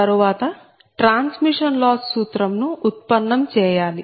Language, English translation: Telugu, so next come to the transmission loss formula